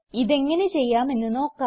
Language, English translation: Malayalam, Let us understand how all this can be done